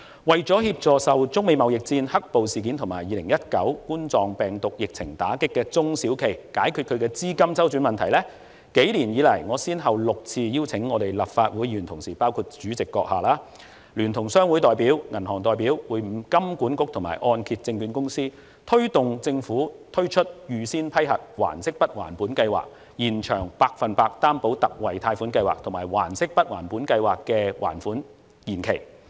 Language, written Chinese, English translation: Cantonese, 為了協助受中美貿易戰、"黑暴"事件及2019冠狀病毒病疫情打擊的中小型企業解決資金周轉問題，幾年以來，我先後6次邀請立法會議員同事，包括主席閣下，聯同商會代表、銀行代表會晤香港金融管理局及香港按揭證券有限公司，推動政府推出預先批核還息不還本計劃、延長百分百擔保特惠貸款計劃，以及延長預先批核還息不還本計劃的還款期。, In order to help small and medium enterprises hard hit by the trade war between China and the United States the black - clad riots and the Coronavirus Disease 2019 epidemic cope with their cash flow problems I invited Member colleagues including the President together with the representatives of chambers of commerce and the banking sector to have meetings with the Hong Kong Monetary Authority and the Hong Kong Mortgage Corporation Limited six times over the past several years and persuade the Government to introduce the Pre - approved Principal Payment Holiday Scheme and to extend the application period of the 100 % Personal Loan Guarantee Scheme and the loan repayment period of the Pre - approved Principal Payment Holiday Scheme